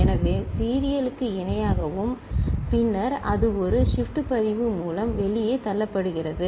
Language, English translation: Tamil, So, parallel to serial and then, serially it is pushed out through a shift register